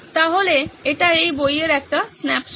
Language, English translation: Bengali, So this is a snapshot from the book